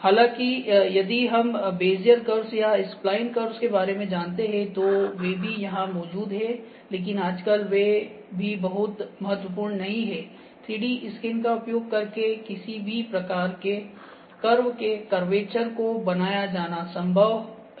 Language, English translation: Hindi, However, if we know about; if we know about the curves, Bezier curve, the spline curves, those are also there, but nowadays those are also not very significant even the the forms any curvature that we need is quite possible to be scanned using the 3D scanners